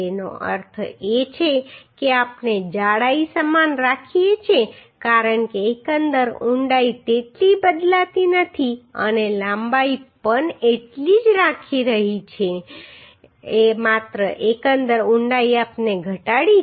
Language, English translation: Gujarati, That means we are keeping thickness same because overall depth is not changing that much and length also is keeping same only overall depth we have reduced right